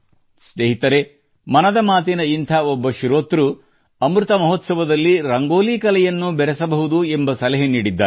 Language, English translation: Kannada, similarly a listener of "Mann Ki Baat" has suggested that Amrit Mahotsav should be connected to the art of Rangoli too